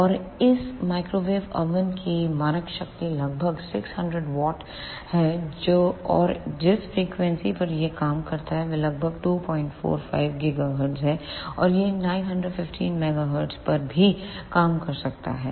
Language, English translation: Hindi, And the standard power of this microwave oven is about 600 watt and the frequency over which it work is a about 2